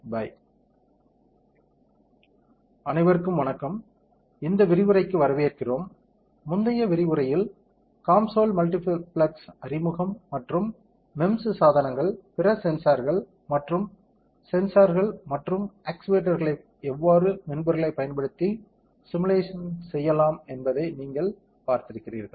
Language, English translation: Tamil, Hi everyone, welcome to this lecture, in a previous lecture you have seen an introduction to COMSOL multiphysics and how the software can be used to simulate lot of MEMS devices and other sensors, and sensors and actuators